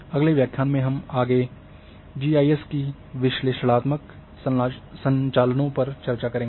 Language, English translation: Hindi, In the next lecture we will discuss further GIS analytical operations